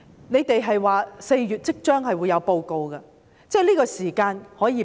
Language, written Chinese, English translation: Cantonese, 你們表示會在4月提交報告，我們可以給你這個時間。, You have indicated that a report would be submitted in April . We can give you the time